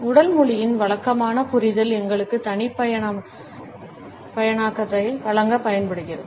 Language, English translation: Tamil, The conventional understanding of body language used to provide us a personalization